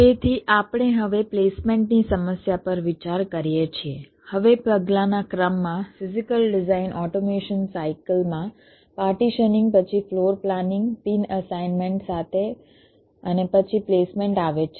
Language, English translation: Gujarati, now, in the sequence of steps in the physical design automation cycle, partitioning is followed by floor planning with pin assignment and then comes placement